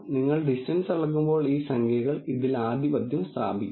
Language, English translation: Malayalam, When you take a distance measure and these numbers will dominate over this